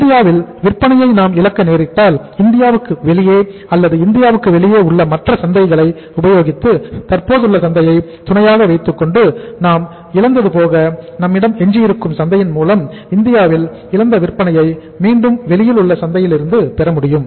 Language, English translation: Tamil, That if we are losing sales in India what are the other markets out of India or outside India which we can use or we can say supplement with the existing market or whatever the market is left with us so that lost sale in India can be regained from the market outside